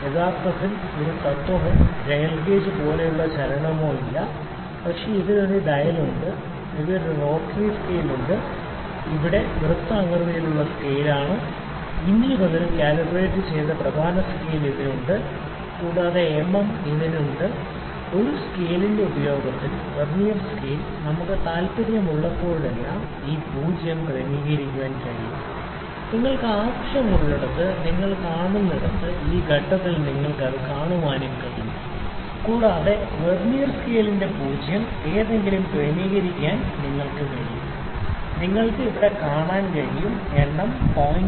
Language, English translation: Malayalam, Actually there is no principle or the movement like dial gauge, but it has a dial it has a rotary scale it is the circular scale here, you can see it has also the main scale reading which are calibrated in inches, and mm it has this Vernier scale that use of this scale is that we can adjust this 0 at point whenever we like see you see wherever, wherever we need at this point also we can adjust it to be 0 at least of the Vernier scale, you can see here that its least count is 0